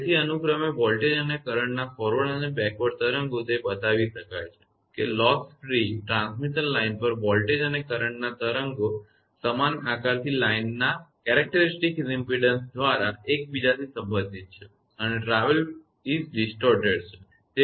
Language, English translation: Gujarati, So, forward and backward waves of voltage and current respectively, it can be shown that on the loss free transmission lines the voltage and the current waves have the same shapes being related to each other by the characteristic impedance of the line and travel is distorted right